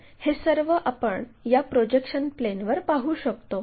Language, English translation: Marathi, So, same thing what we can observe it on this projection plane